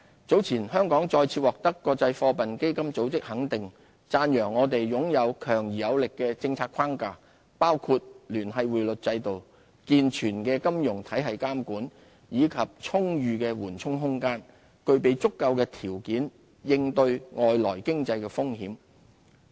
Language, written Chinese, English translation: Cantonese, 早前香港再次獲得國際貨幣基金組織肯定，讚揚我們擁有強而有力的政策框架，包括聯繫匯率制度、健全的金融體系監管，以及充裕的緩衝空間，具備足夠條件應對外來經濟風險。, Hong Kong has recently been recognized by the International Monetary Fund again for our strong policy framework including the linked exchange rate system vigorous regulation and supervision of the financial system and ample buffers which enable us to cope with external economic risks